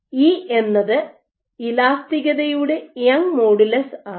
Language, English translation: Malayalam, So, E is the Young’s modulus of elasticity